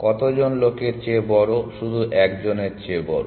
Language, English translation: Bengali, Greater than how many people, feels it greater than only one